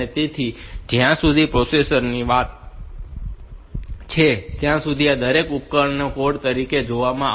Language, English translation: Gujarati, So, as far as the processor is concerned, each of these devices they are looked upon as a code